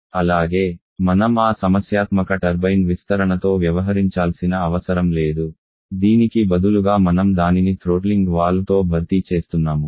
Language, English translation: Telugu, And also we do not have to deal with that problematic turbine expansion rather we are replacing that withany with at throttling valve